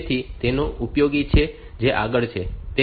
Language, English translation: Gujarati, So, that is useful that is so forth